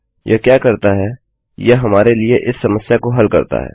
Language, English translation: Hindi, What this does is, it fixes this problem for us